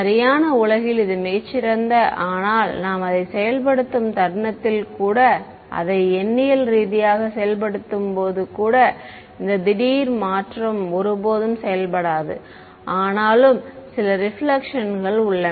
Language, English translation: Tamil, In the perfect world this is great right, but even when I go the moment I implement it numerically there are still some reflections that happened this abrupt change never works